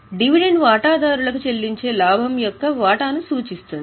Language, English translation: Telugu, Dividend represents the share of profit which is paid to the shareholders